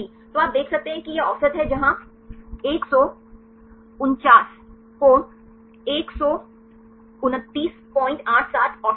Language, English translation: Hindi, So, you can see this is the average where 149 angles 129